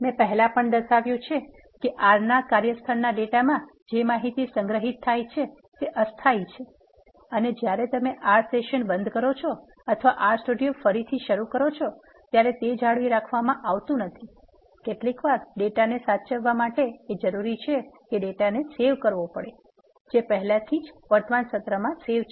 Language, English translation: Gujarati, The data from the workspace in R I have already mentioned that the information that is saved in the environment of R is temporary and it is not retain when you close the R session or restart the R Studio it is sometimes needed to save the data which is already there in the current session